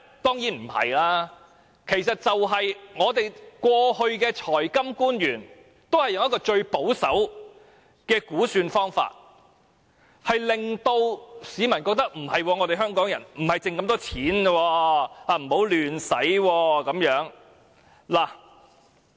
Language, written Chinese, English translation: Cantonese, 當然不是，其實只是過去的財金官員都使用了最保守的估算方法，令市民以為香港沒有那麼多盈餘，不宜亂花錢。, Of course not . It is just because the financial officials of the Government all adopted the most conservative method of estimation in the past so Hong Kong people was led to think that our surplus was not that huge and we should not spend money recklessly